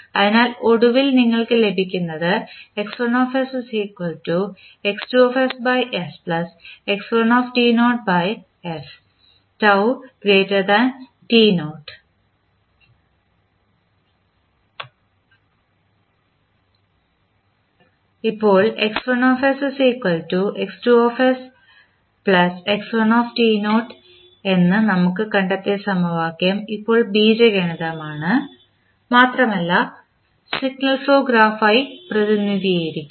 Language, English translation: Malayalam, Now, the equation that is we have just found that is x1s is equal to x2s by s plus x1 t naught by s is now algebraic and can be represented by the signal flow graph